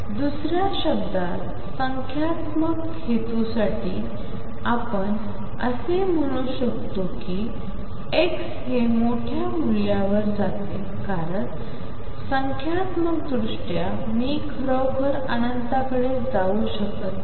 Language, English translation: Marathi, In other words for numerical purposes we can say that as x goes to a large value why because numerically I cannot really go to infinity